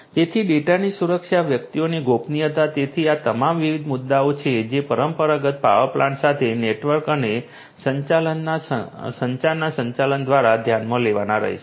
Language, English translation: Gujarati, So, security of the data privacy of the individuals so, these are all different different issues that will have to be considered through the integration of network and communication with the traditional power supply